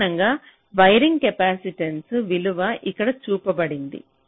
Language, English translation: Telugu, now typically wiring capacitance values are also shown here